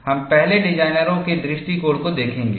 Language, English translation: Hindi, We will see that designers' approach first